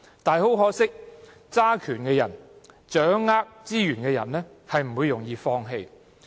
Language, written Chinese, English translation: Cantonese, 很可惜，掌權、掌握資源的人，並不容易放棄。, Regrettably people with power and resources will not give them up easily